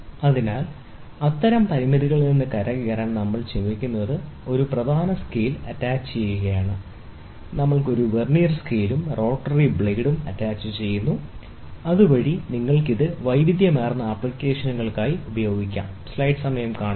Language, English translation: Malayalam, So, in order to get out of such limitations, what we do is we attach a main scale; we attach a Vernier scale, and a rotary blade, so that you can try to use it for versatile applications